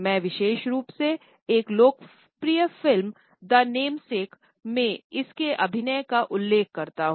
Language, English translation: Hindi, I would particularly refer to its portrayal in a popular movie Namesake